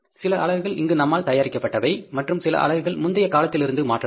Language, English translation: Tamil, Some units we produced here and some units be transferred from the previous period